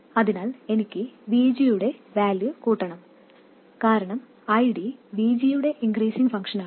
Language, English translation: Malayalam, So, that means I have to increase the value of VG, because ID is an increasing function of VG